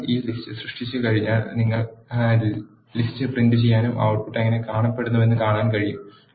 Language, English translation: Malayalam, Once you create a list you can print the list and see how the output looks